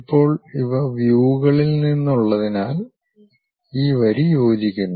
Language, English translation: Malayalam, Now, because these are from views, this line this line coincides